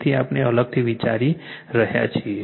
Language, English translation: Gujarati, So, separately we are considering